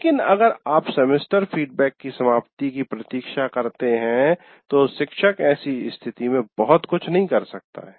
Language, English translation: Hindi, So what happens is, but if you wait for the end of the semester feedback, then there is nothing much the teacher can do